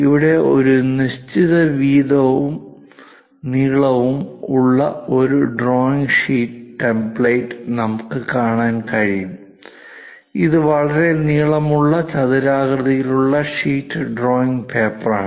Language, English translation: Malayalam, So, here we can see a drawing sheet template having certain width and a length; it is a very long rectangular sheet drawing paper